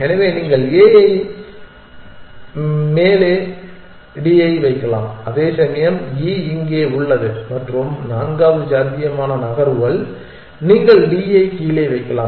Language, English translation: Tamil, So, you can put D on top of a, whereas E remains here and the fourth possible move is that you can put D down